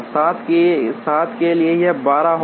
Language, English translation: Hindi, For 7 it will be 12